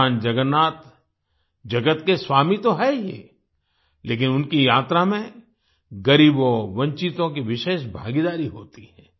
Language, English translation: Hindi, Bhagwan Jagannath is the lord of the world, but the poor and downtrodden have a special participation in his journey